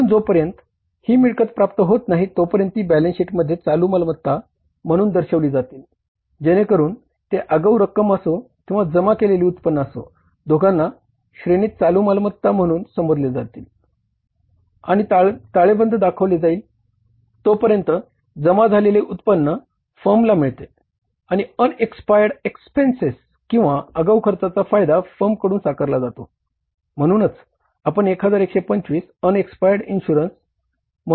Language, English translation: Marathi, So, till the time those incomes are received, they will be shown as a current asset in the balance sheet